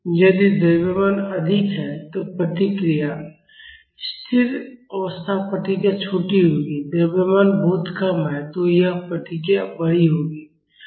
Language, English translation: Hindi, If the mass is high the response, the steady state response will be smaller the mass is very low this response will be larger